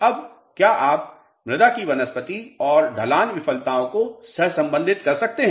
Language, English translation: Hindi, Now, can you correlate vegetation of the soil and slope failures